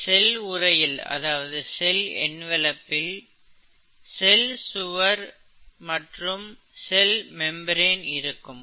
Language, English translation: Tamil, The cell envelope may contain what is called a cell wall and a cell membrane